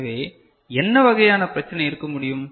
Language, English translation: Tamil, So, what kind of issue could be there